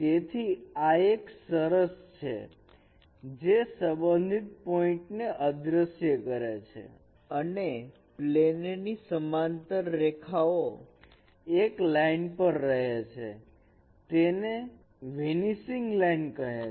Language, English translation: Gujarati, So this is a summary that vanishing points corresponding to parallel lines of a plane lie on a line and that is called vanishing line